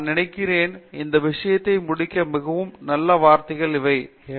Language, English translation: Tamil, Very nice words to conclude this discussion with I think